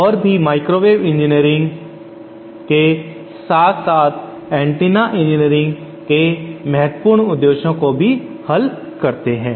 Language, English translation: Hindi, And they solve important purpose in microwave engineering as well as antenna engineering